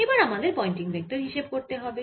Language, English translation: Bengali, now we have to calculate the pointing vector